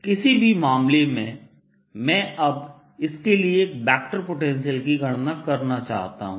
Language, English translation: Hindi, in any case, i want to now calculate the vector potential for this